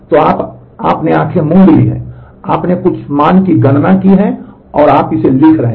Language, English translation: Hindi, So, you have just blindly you had just computed some value and you are writing to that